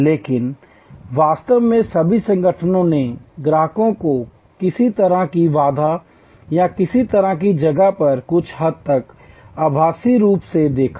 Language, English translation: Hindi, But, really all organizations looked at customers across some kind of a barrier or some kind of a place somewhat physical, somewhat virtual